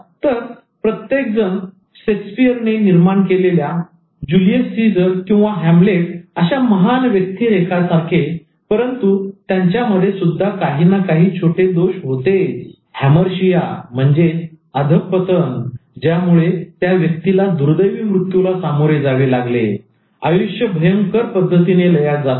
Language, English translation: Marathi, So, everybody, even the great immortal characters created by Shakespeare, like Julius Caesar or Hamlet, they are all larger than life characters, but they all had one tiny flaw, Hamarsia, that led to their tragic death, terrible calm down in their life